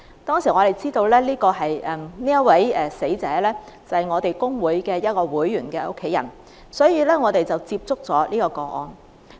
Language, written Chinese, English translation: Cantonese, 當我們知道這名死者是我們工會會員的家人後，我們進一步了解這宗個案。, We later learnt that the deceased victim was a family member of our trade union member . We thus probed deeper into the case